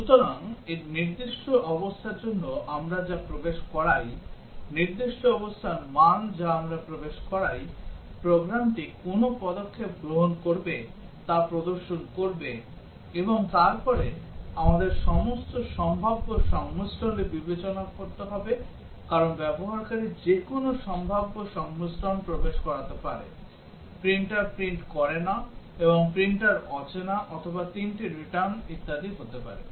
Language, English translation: Bengali, So, for specific conditions that we enter, the values of specific conditions that we enter, the program will display what action to take place, and then we have to consider all possible combinations of conditions because the user may enter any possible combinations; printer does not print and printer unrecognized or may be all three return and so on